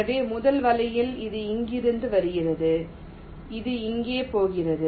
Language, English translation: Tamil, so for the first net, it is coming from here, it is going here